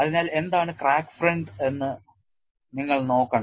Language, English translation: Malayalam, So, you have to look at what is the crack front